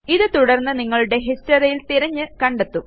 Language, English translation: Malayalam, This will then search through your history to find it